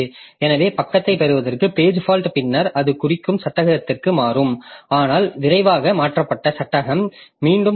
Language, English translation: Tamil, So, page fault to get page and then it will replace existing frame but quickly need the replaced frame back